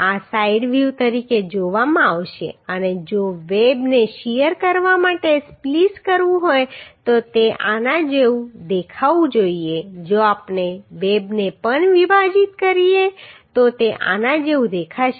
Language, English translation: Gujarati, This will be looking as side view and if web has to be spliced for shear then it should look like this if we splice the web also then it will look like this